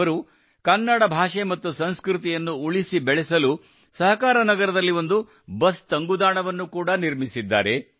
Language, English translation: Kannada, He has also built a bus shelter in Sahakarnagar to promote Kannada language and culture